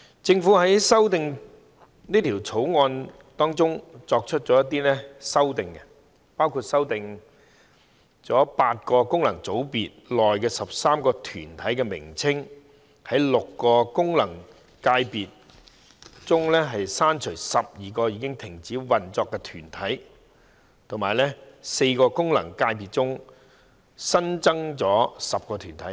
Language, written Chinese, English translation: Cantonese, 政府在《條例草案》中作出一些修訂，包括修訂8個功能界別中13個團體的名稱，在6個功能界別中刪除12個已停止運作的團體，以及在4個功能界別中新增10個團體。, The Government made some amendments in the Bill including revising the names of 13 corporates in eight functional constituencies FCs removing 12 corporates that have ceased operation from six FCs and adding 10 new corporates to four FCs